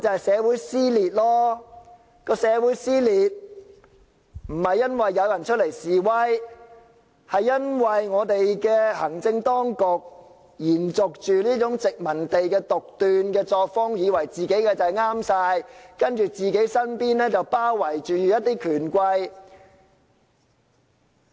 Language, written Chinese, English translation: Cantonese, 社會撕裂不是因為有人出來示威，而是因為行政當局延續了殖民地的獨斷作風，以為自己一定全對，而身邊則包圍着權貴。, Society is torn apart not because people have taken to the streets but because the executive authorities have followed the style of the colonist in acting arbitrarily and thinking that they are always right while being surrounded by the rich and powerful